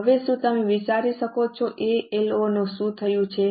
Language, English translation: Gujarati, Now, can you think of what has happened to ALO